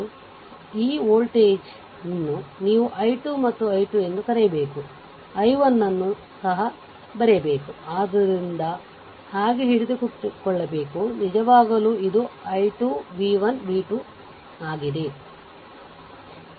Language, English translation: Kannada, So, this this voltage this your what you call that i 2 and i 3 we have to write and i 1 also So, this ah this just hold on so, this i 2 actually if you right i 2 this voltages is v 1 this voltage is v 2